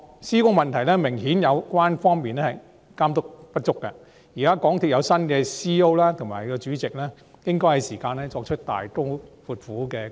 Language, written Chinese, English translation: Cantonese, 施工的問題顯然是有關方面監督不足，港鐵公司的新任行政總裁和主席是時候大刀闊斧地進行改革。, The problem with the execution of works obviously shows a lack of supervision by the relevant parties . It is time for the new Chief Executive Officer and the Chairman of MTRCL to carry out a drastic reform